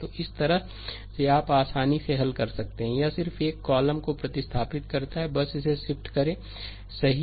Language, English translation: Hindi, So, this way you can easily solve, it just replace one column just shift it, right